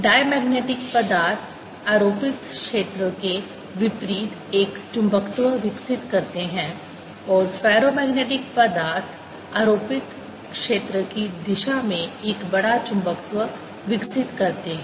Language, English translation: Hindi, diamagnetic materials: they develop a magnetization opposite to the applied field and ferromagnetic materials develop a large magnetization in the direction of applied field